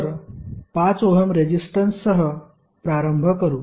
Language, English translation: Marathi, So, start with the 5 ohm resistance